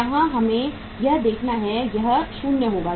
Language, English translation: Hindi, Here we have to see, this will be 0